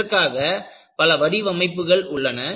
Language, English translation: Tamil, There are different models for it